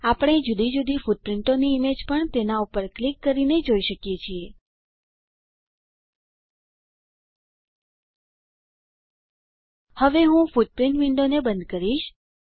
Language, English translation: Gujarati, We can also see images of different footprints by clicking on them I will close footprint window now